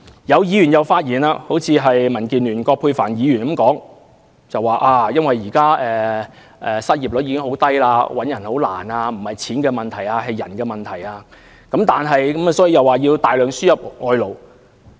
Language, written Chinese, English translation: Cantonese, 又有議員發言，正如民建聯葛珮帆議員說，由於現時失業率十分低，很難聘請員工，認為不是錢的問題，而是人的問題，所以要大量輸入外勞。, Some Members such as Dr Elizabeth QUAT from the Democratic Alliance for the Betterment and Progress of Hong Kong said that owing to the current low unemployment rate it was difficult to recruit workers . The problem was not related to money but manpower hence it was necessary to import large numbers of foreign workers